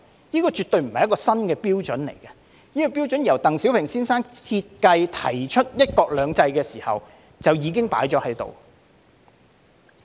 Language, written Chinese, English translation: Cantonese, 這絕對不是一個新的標準，這個標準在鄧小平先生設計和提出"一國兩制"的時候就已經訂立。, This absolutely is not a new standard . This standard was already laid down when Mr DENG Xiaoping designed and proposed one country two systems